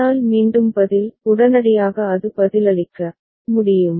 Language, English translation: Tamil, But again the response is immediately it can respond